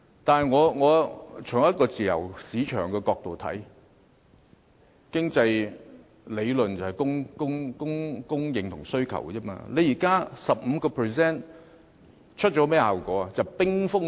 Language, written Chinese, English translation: Cantonese, 但是，從自由市場的角度來看，經濟理論講求供應和需求，這 15% 印花稅現時產生甚麼效果？, However in a free market economy economic theories are based on demand and supply . What is the impact of the 15 % AVD?